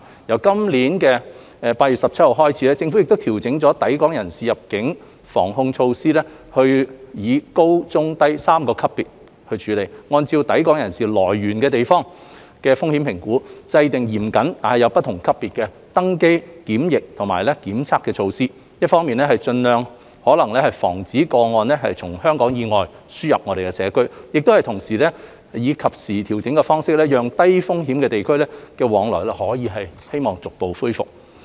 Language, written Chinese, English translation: Cantonese, 由今年8月17日開始，政府調整抵港人士入境防控措施，以高、中和低3個級別處理，按抵港人士來源地的風險評估，制訂嚴謹但有不同級別的登機、檢疫及檢測措施，一方面盡可能防止個案從香港以外輸入社區，但同時以及時調整的方式，讓低風險地區的往來可以逐步恢復。, Starting from 17 August 2021 the Government has adjusted the prevention and control measures for persons arriving at Hong Kong based on high medium and low risk levels . Stringent boarding quarantine and testing requirements of different levels are introduced according to the assessed risks of the relevant origins of the incoming travellers to prevent importation of cases from outside Hong Kong while timely adjustment is made to gradually resume people flow with low risk places